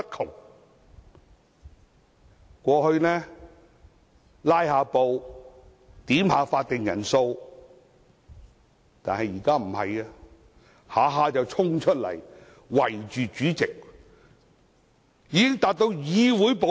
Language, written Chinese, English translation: Cantonese, 他們過去只是"拉布"、要求點算法定人數，但現在動輒衝出來圍着主席，已經等同議會暴力。, While they merely engaged in filibustering and calling quorums in the past they now frequently dash out to besiege the President and such acts are already a kind of legislative violence